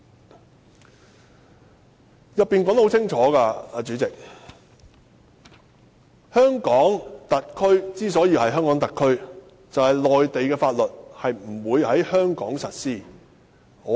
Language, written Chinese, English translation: Cantonese, "代理主席，條文已經寫得很清楚，香港特區之所以是香港特區，就是內地法律不會在香港實施。, Deputy President as stated clearly in the provision HKSAR is a special administrative region because Mainland laws will not be applied in Hong Kong